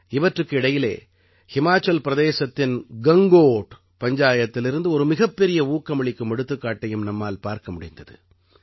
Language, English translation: Tamil, In the midst of all this, a great inspirational example was also seen at the Gangot Panchayat of Himachal Pradesh